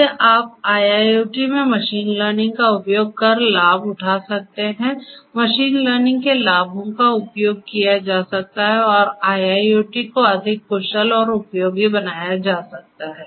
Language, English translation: Hindi, So, you could use machine learning in IIoT in order to harness the benefits, utilize the benefits of machine learning and make IIoT much more efficient and useful